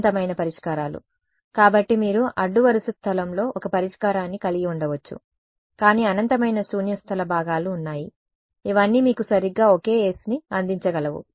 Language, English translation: Telugu, Infinite solutions right; so, you can have a solution in the row space, but there are infinite null space components, which can all give you exactly the same s